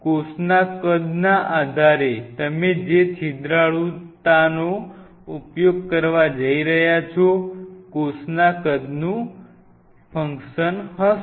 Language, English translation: Gujarati, So, depending on the size of the cell what porosity you are going to use will be porosity will be, will be a function of cell size ok